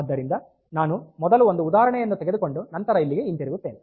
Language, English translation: Kannada, So, I will take an example then I will come back to this ok